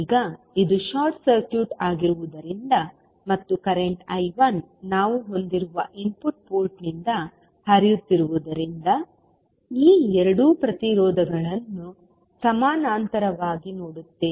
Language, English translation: Kannada, Now, since this is short circuited and current I 1 is flowing form the input port we will have, will see these two resistances in parallel